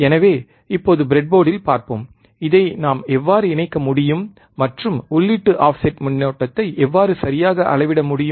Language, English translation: Tamil, So, let us see now on the breadboard, how we can connect this and how we can measure the input offset current all right